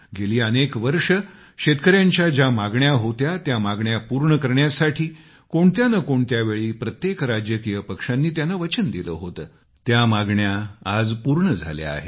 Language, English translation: Marathi, The demands that have been made by farmers for years, that every political party, at some point or the other made the promise to fulfill, those demands have been met